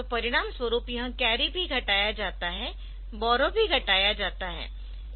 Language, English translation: Hindi, So, as a result this is the carry is also subtracted so borrow is also subtracted